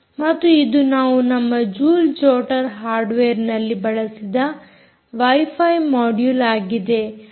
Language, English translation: Kannada, this is the wifi module that we have used in our joule jotter hardware